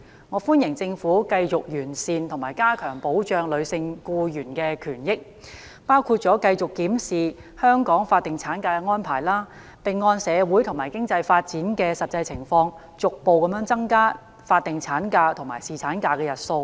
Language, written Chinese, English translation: Cantonese, 我歡迎政府繼續完善和加強保障女性僱員權益，包括繼續檢視香港法定產假的安排，並按社會和經濟發展的實際情況，逐步增加法定產假及侍產假的日數。, I welcome the Governments continued efforts in improving and strengthening the protection for the rights of female employees including constantly reviewing the statutory maternity leave arrangement in Hong Kong and gradually extending the statutory maternity and paternity leaves in accordance with the actual development of society and the economy